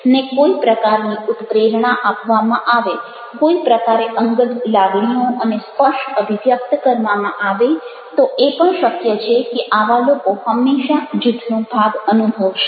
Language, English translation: Gujarati, and ah, if some sort of motivation is given and some sort of personal feeling and touch is expressed, then these people will always feel part of the group